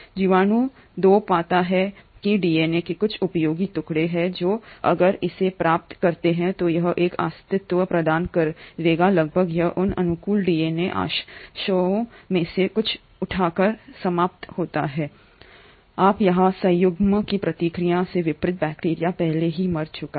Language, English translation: Hindi, The bacteria 2 finds there are a few useful pieces of DNA which if it acquires will give it a survival advantage, it ends up picking a few of those favourable DNA fragments; mind you here, this bacteria has already died unlike in the process of conjugation